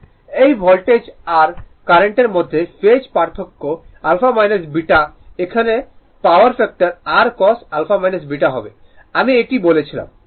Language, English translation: Bengali, And the phase difference between voltage and current I told you alpha minus beta here the power factor your cos alpha minus beta right